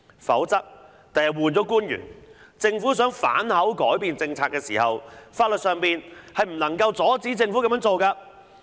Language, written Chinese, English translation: Cantonese, 否則，日後換了官員，政府想反口改變政策時，法律上不能阻止政府這樣做。, Otherwise it would be impossible to prevent the Government from changing the policy when the relevant public officer is replaced in future